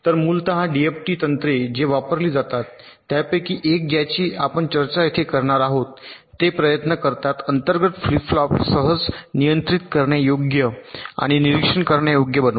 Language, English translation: Marathi, so essentially the d f t techniques which are used so one of them we will be discussing here they try to make the internal flip flops easily controllable and observable